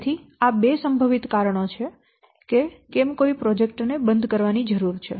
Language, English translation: Gujarati, So these are the two possible reasons why a project needs a closure